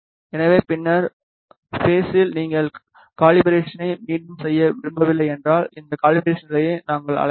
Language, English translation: Tamil, So, at the later stage n if you do not want to repeat the calibration you can we call this calibration state